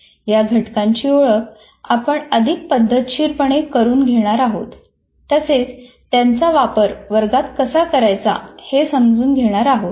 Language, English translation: Marathi, We will now more systematically kind of identify those components and how to implement in the classroom